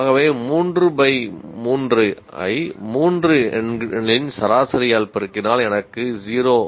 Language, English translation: Tamil, 3 by 3 into average of those three numbers, I get 0